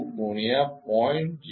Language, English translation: Gujarati, 4 by 2 into 0